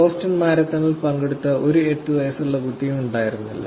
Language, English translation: Malayalam, There was no 8 year old kid, who was actually participating in the Boston marathon